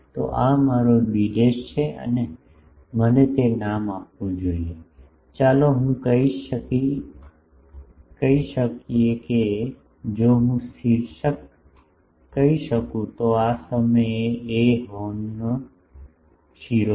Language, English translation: Gujarati, So, this is my b dash and let me name it that, let us say the if I the apex let me call it A this point is the apex of the horn A